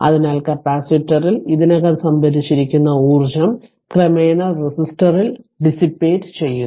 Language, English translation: Malayalam, So, the energy already stored in the capacitor is gradually dissipated in the resistor